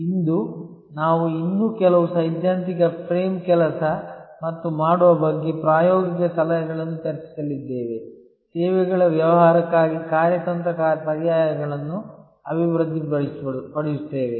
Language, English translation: Kannada, Today, we are going to discuss a few more theoretical frame work and practical suggestions about doing, developing the strategy alternatives for a services business